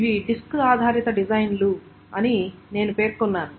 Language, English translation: Telugu, So I mentioned that these are disk based design